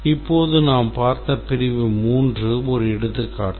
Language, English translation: Tamil, But then the section 3 that we just saw now is just one example and I